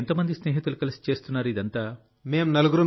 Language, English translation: Telugu, How many of your friends are doing all of this together